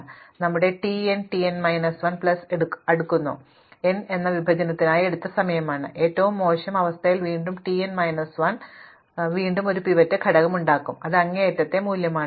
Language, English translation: Malayalam, So, I have t n takes t n minus 1 plus n, n is the time taken to partition and t n minus 1 again in the worst case will have again a pivot element which is an extreme value